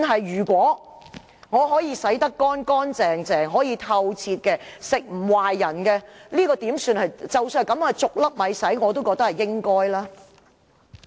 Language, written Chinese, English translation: Cantonese, 如果我可以洗得乾乾淨淨，不會讓人吃壞肚，即使我是"逐粒米洗"，我也覺得是應該的。, Instead I really if I wash rice clean and people will not feel sick after eating I think I should still wash rice grain by grain